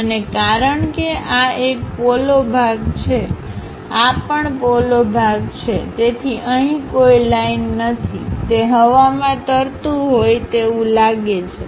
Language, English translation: Gujarati, And because this is a hollow portion, this is also a hollow portion; so we do not have any lines there, it just looks like floating one